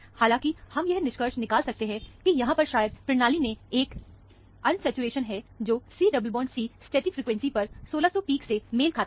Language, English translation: Hindi, However, we can conclude that, there may be an unsaturation in the system, which corresponds to, 1600 peak at C double bond C stretching frequency is there